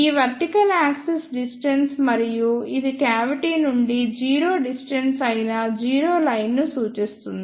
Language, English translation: Telugu, So, this vertical axis is distance and this represents the zero line that is the zero distance from the cavity that is the cavity itself